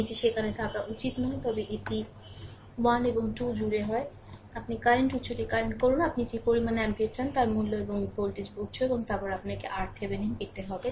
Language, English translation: Bengali, It should not be there, but it put across 1 and 2 either you current a current source, whatever ampere you want value and or a voltage source right and then you have to get R Thevenin